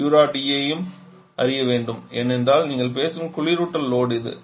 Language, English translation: Tamil, And Q dot E also has to be known because that is the refrigerant load that you are talking about